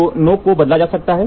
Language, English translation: Hindi, So, the tip can be changed